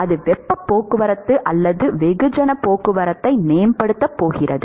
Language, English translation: Tamil, And that is going to enhance the heat transport or mass transport